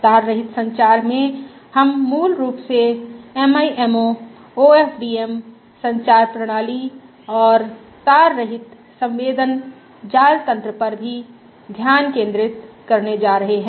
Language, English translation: Hindi, wireless communication systems And wireless communication we are going to focus on are basically MIMO, OFDM communication systems and also wireless sensor networks